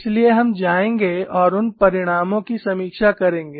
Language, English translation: Hindi, So, we will go and review those results